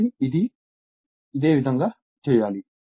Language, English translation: Telugu, So, similarly like this